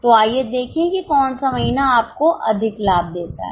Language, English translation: Hindi, And then we will discuss as to which month has more profits